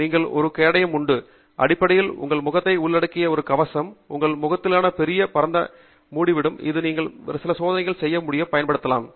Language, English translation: Tamil, And you also have something which is a shield; basically, a shield that covers your face, which would cover a big broader region of your face, which you can then use to do certain other types of experiments